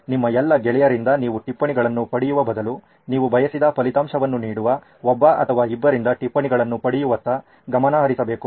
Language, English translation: Kannada, Instead of you getting notes from all of your peers, you should rather focus on getting a note from one or a couple of people which would give you desired result, right